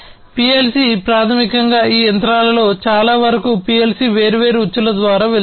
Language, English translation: Telugu, So, PLC basically in most of these machines PLC goes through different loops